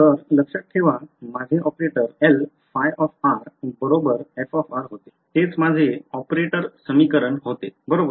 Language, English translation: Marathi, So, remember my operator was L phi of r is equal to f of r that was my operator equation right